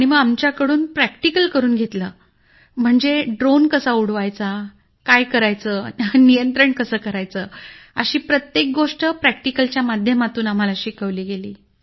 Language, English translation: Marathi, Then practical was conducted, that is, how to fly the drone, how to handle the controls, everything was taught in practical mode